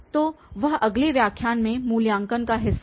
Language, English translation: Hindi, Well, so that was the evaluation part in the next lecture